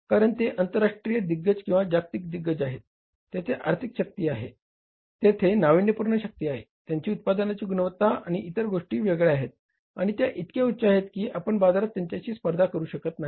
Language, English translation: Marathi, Because they are the international giants, their global giants, their financial might, their innovative might, their quality of the product and the other things are so different and so high, so better, that you are not able to compete in the market